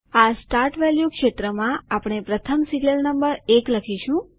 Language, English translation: Gujarati, In the Start value field, we will type the first serial number, that is, 1